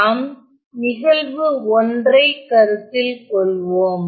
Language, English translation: Tamil, So, let us look at an example